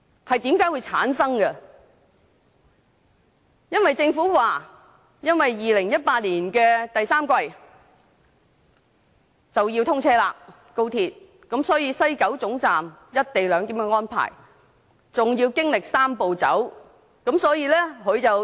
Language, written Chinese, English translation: Cantonese, 政府表示，高鐵將於2018年第三季通車，而西九高鐵總站的"一地兩檢"安排還要以"三步走"方式落實。, The Government said the Hong Kong Section of the Guangzhou - Shenzhen - Hong Kong Express Rail Link XRL will be commissioned in the third quarter of 2018 but the co - location arrangement at the West Kowloon Station still need to be implemented in the manner of a Three - step Process